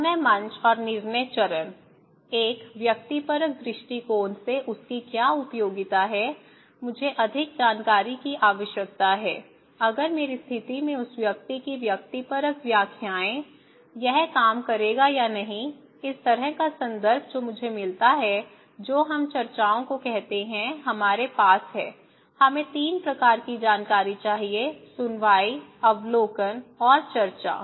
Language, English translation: Hindi, So, the persuasion stage and decision stage that means, what is the utility of that from a subjective point of view, I need more information, if subjective interpretations of that one in my condition, it will work or not, this kind of context which I get, which we call discussions so, we have; we need 3 kinds of information; hearing, observations and discussions, okay